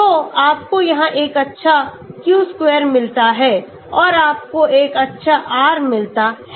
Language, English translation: Hindi, So you get a good q square here and you get a good r